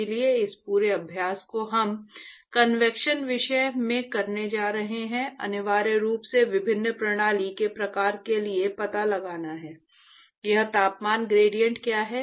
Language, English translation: Hindi, So, the whole of this exercise that we are going to do in convection topic is essentially to find out for various kinds of system; what is this temperature gradient